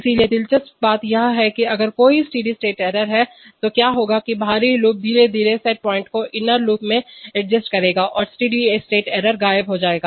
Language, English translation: Hindi, So interestingly the, if there is a steady state error then what will happen is that the outer loop will slowly adjust the set point to the inner loop and the steady state error will vanish